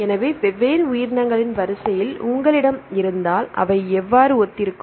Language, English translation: Tamil, So, if you have the sequences from different organisms how for they are similar